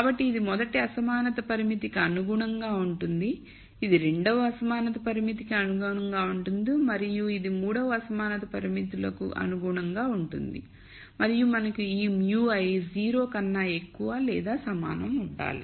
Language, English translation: Telugu, So, this is corresponding to the rst inequality constraint, this is corresponding to the second inequality constraint and this is corresponding to the third inequality constraints and we also have to have this mu i greater than equal to 0